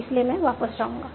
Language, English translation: Hindi, So I will go back